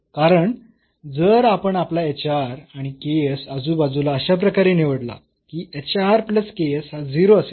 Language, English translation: Marathi, Because if we choose our hr and ks in the neighborhood such that this hr plus ks is 0